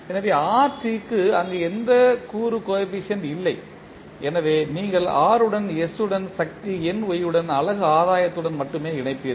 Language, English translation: Tamil, So, rt does not have any component coefficient there so you will connect r with s to the power ny with only unit gain